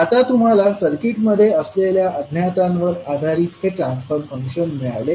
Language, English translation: Marathi, Now you have got this transfer functions less based on the unknowns which you have in the circuit